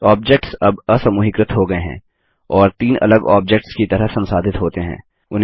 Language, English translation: Hindi, The objects are now ungrouped and are treated as three separate objects